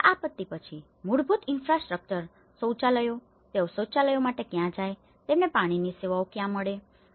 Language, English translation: Gujarati, And after the following disaster, the basic infrastructure, the toilets, where do they go for the toilets, where do they get the water services